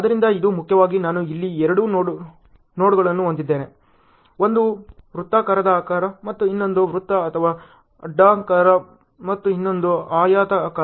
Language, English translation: Kannada, So, this is primarily I have two nodes here; one is a circular shape and the other one is circle or oval and the other one is a rectangle shape ok